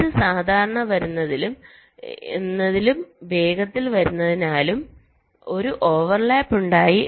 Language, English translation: Malayalam, because it was coming slower and this was coming faster, there was a overlap